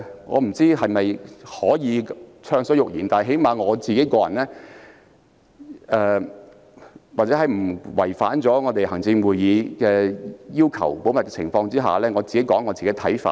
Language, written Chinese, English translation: Cantonese, 我不知道能否暢所欲言，但至少就個人而言，或在不違反行政會議保密要求的前提下，我想提出自己的看法。, I am not sure whether I can speak freely . But at least on a personal level or at the premise of not violating the confidentiality principle of the Executive Council I wish to share my personal thoughts